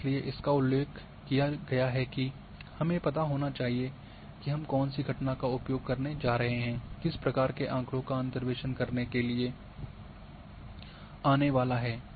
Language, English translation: Hindi, And that is why it has been mentioned that we must know the phenomena which phenomena I am going to use, which type of data is going to come for interpolation